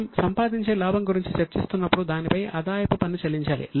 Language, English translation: Telugu, As we were discussing, whatever profit we earn, we have to pay income tax on it